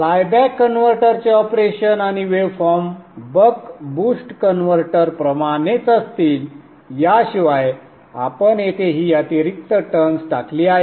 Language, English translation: Marathi, The operation of the flyback converter and the waveforms will be exactly like that of the buck boost converter except that we have put this extra turns here